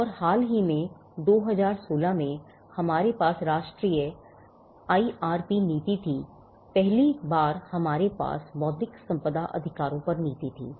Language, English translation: Hindi, And recently in 2016, we had the National IRP policy, we had for the first time we had a policy on intellectual property rights